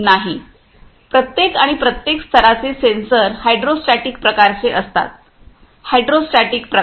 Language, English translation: Marathi, No for each and every each and every level sensors are of hydrostatic types